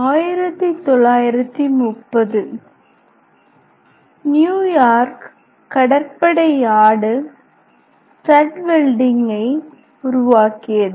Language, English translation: Tamil, Then in 1930 the New York Navy Yard developed a stud welding